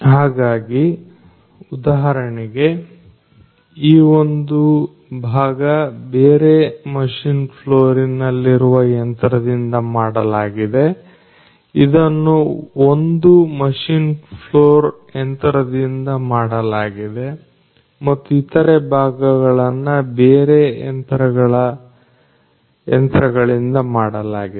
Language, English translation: Kannada, So, for example, this part was made by one of the machines in another machine floor this is made by another machine in this particular machine floor and there are other parts that are made by other machines